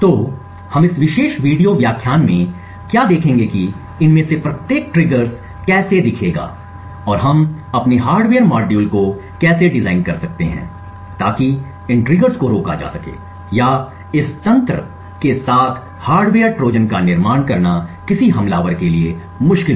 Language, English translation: Hindi, So, what we will see in this particular video lecture is how each of these triggers will look and how we can design our hardware modules so as to prevent these triggers or make it difficult for an attacker to build hardware Trojans with this mechanisms